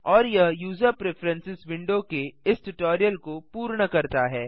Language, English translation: Hindi, And that completes this tutorial on User Preferences